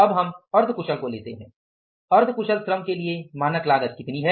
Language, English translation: Hindi, S Semi skilled cost is standard cost for this semi skilled labor is how much